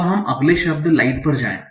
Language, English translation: Hindi, Now let us go to the next word